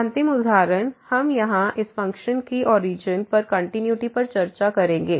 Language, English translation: Hindi, The last example, we will discuss here the continuity of this function at origin